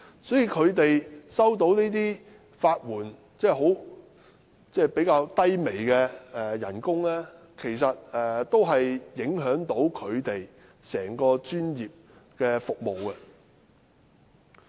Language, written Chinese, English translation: Cantonese, 因此，他們在法援方面收取較低微的工資，其實也會影響他們的專業服務。, Hence when they receive a lower pay under the legal aid scheme it may in fact affect their professional services